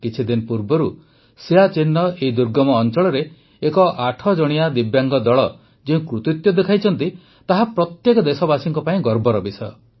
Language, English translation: Odia, A few days ago, the feat that a team of 8 Divyang persons performed in this inaccessible region of Siachen is a matter of pride for every countryman